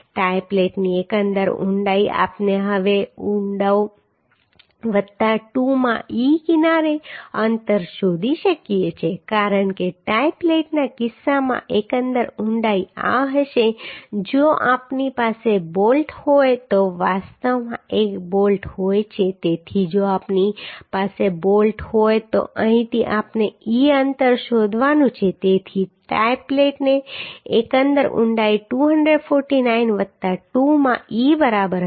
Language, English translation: Gujarati, 8 and that is more than 2b so it is okay Overall depth of the tie plate we can find out now depth plus 2 into e edge distance because overall depth will be this in case of tie plate if we have bolt actually one bolt is there so if we have bolt then the e distance from here we have to find out so overall depth of tie plate will be 249 plus 2 into e right Then length of tie plate so this is what length of tie plate we can find out that is 300 millimetre then thickness of tie plate thickness of tie plate also we can find out that is 1 50th of the inner distance of the bolt so that we can find out 4